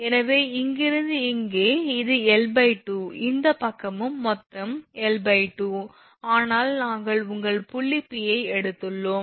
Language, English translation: Tamil, So, from here to here we have this is l by 2 this side also total is l by 2 right, but we have taken some point your P